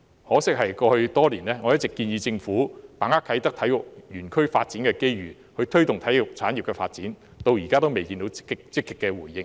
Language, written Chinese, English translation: Cantonese, 我在過去多年一直建議政府把握啟德體育園區發展的機遇，推動體育產業發展，可惜至今仍然未得到積極回應。, Over the years I have all along proposed that the Government seize the opportunity from the development of the Kai Tak Sports Park to promote the development of the sports industry . Regrettably so far there has been no active response